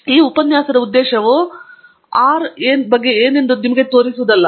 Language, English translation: Kannada, The purpose of this lecture is not to show you what R is about and so on